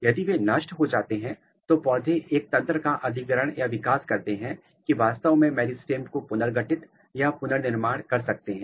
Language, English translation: Hindi, If they are lost so, there is a mechanism plant has acquired a mechanism that they can actually reconstitute, reconstruct the meristem, this is because of their regeneration capability